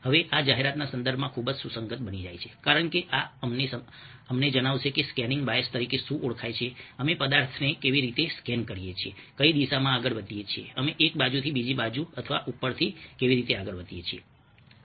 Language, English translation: Gujarati, now this becomes very relevant in the context of advertising, because this will lets you what is known as scanning bias: how we scan objects, in which direction